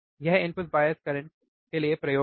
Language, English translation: Hindi, So, this is experiment for input bias current